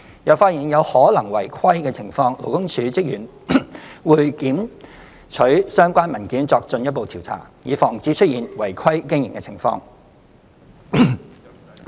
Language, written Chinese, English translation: Cantonese, 若發現有可能違規的情況，勞工處職員會檢取相關文件作進一步調查，以防止出現違規經營的情況。, Upon detection of possible irregularities LD officers would seize relevant documents for further investigation with a view to preventing any irregularities in their operation